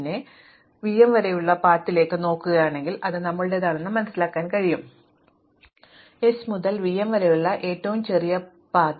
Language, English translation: Malayalam, Then, if I look at the path only up to v m, then this is our shortest path from s to v m